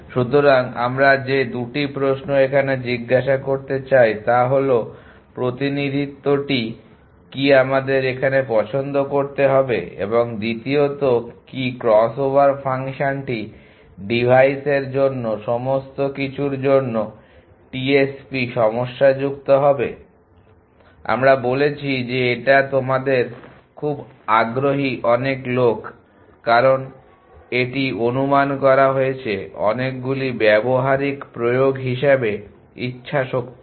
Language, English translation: Bengali, So, that the 2 question we want to ask is what the representation to choose and secondly what cross over function to device all for that would the TSP is problemise we said which your very interest many people, because it is got estimated many practical application as will